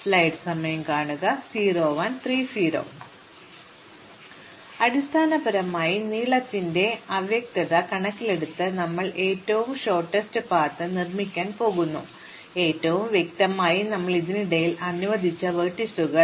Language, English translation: Malayalam, So, we are basically going to build up shortest path in terms of vaguely their length, but most specifically what vertices we allowed in between